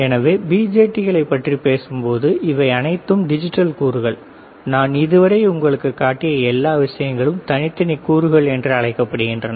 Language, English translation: Tamil, So, when we talk about BJTs these are all digital components, all the things that I have shown it to you until now are called discrete components, all right